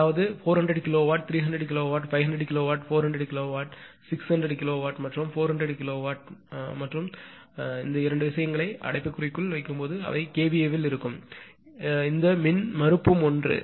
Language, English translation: Tamil, That is 400 kilowatt, 300 kilowatt, 500 kilowatt, 400 kilowatt, 600 kilowatt and 400 kilowatt and when you put a two thing in bracket they are in kVA and this impedance is also same